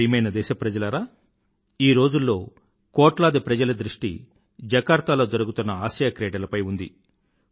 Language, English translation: Telugu, The attention of crores of Indians is focused on the Asian Games being held in Jakarta